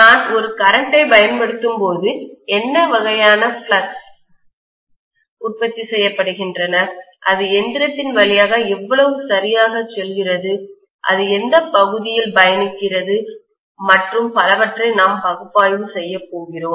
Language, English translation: Tamil, And when I apply a current, what is the kind of fluxes produced, how exactly it passes through the machine, in what part it travels and so on and so forth we would like to analyze